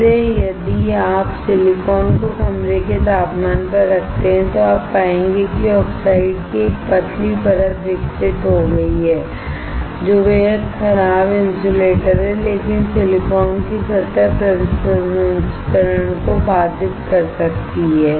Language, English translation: Hindi, So, if you just keep the silicon at room temperature, you will find that there is a thin layer of oxide grown, which is extremely poor insulator, but can impede the surface processing of silicon